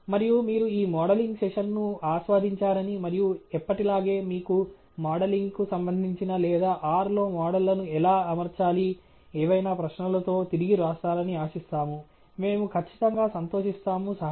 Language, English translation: Telugu, And let me do that by saying, by hoping that you have enjoyed this modelling session and write back to us, as always, with any questions that you may have pertaining to modelling or how to fit models in R and we will definitely be glad to help you